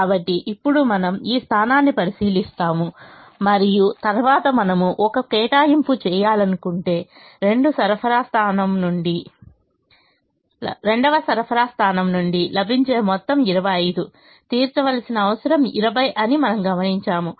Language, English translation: Telugu, so now we look at this position and then we observe that if we want to make an allocation, the of total available from the second supply point is twenty five, that the requirement that has to be met is twenty